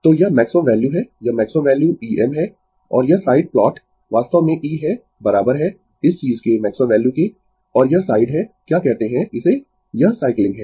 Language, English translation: Hindi, So, this is your maximum value this is your maximum value E m and this side plot is actually E is equal to this thing the maximum value and this side is your what you call this is, it is cycling